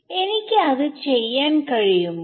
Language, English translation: Malayalam, So, can I do that